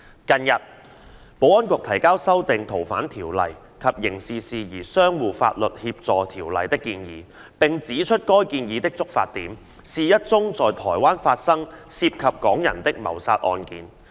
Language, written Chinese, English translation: Cantonese, 近日，保安局提交修訂《逃犯條例》及《刑事事宜相互法律協助條例》的建議，並指出該建議的觸發點是一宗在台灣發生涉及港人的謀殺案件。, Recently the Security Bureau has submitted a proposal to amend the Fugitive Offenders Ordinance and the Mutual Legal Assistance in Criminal Matters Ordinance and pointed out that the proposal was triggered by a homicide case in Taiwan involving Hong Kong residents